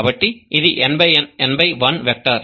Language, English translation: Telugu, So it's an n by 1 vector